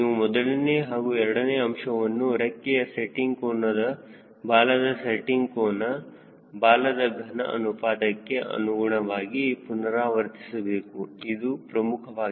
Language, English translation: Kannada, you have to iterate between one and two, with a variation of wing setting angle, tail setting angle, then tail volume ratio, very, very important